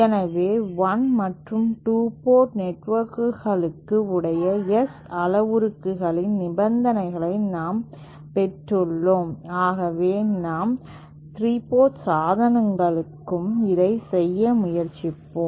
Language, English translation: Tamil, So, while we have derived the conditions of the S parameters for 1 and 2 port networks, let us try to do the same thing for 3 port devices